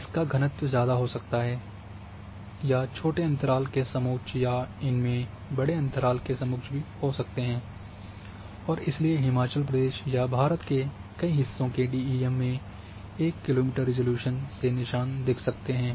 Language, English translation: Hindi, So, this might having high density or a close interval contours where might be having a large interval contours, and therefore you the seams are visible in 1 kilometre resolution of DEM of Himachal Pradesh or many parts of India especially of any terrain